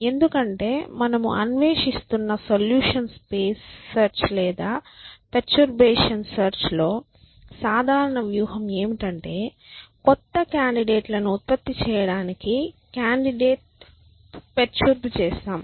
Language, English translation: Telugu, Because the general strategy in solution space search or perturbation search that we are exploring is that we perturb candidates to produce new candidates